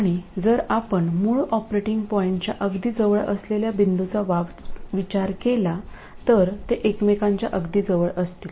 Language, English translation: Marathi, And if you consider a point that is closer to the original operating point, they will be even closer to each other